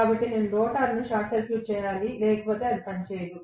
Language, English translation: Telugu, So, I have to short circuit the rotor otherwise it will not work